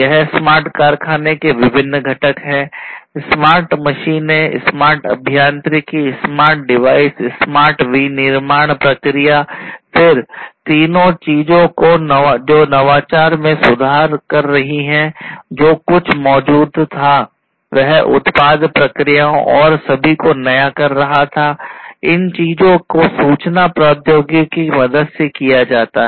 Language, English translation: Hindi, So, these are the different components of the smart factory, smart machines, smart engineering, smart devices, smart manufacturing process, then three things improving upon the innovation you know whatever was existing innovating the product the processes and so, on and the all these things can be done with the help of information technology